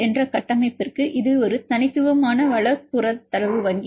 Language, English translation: Tamil, Then for the structure PDB this is a unique resource protein data bank